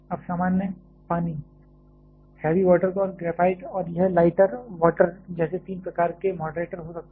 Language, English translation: Hindi, Now, there can be three kinds of moderators like a normal water, heavy water and graphite and this lighter water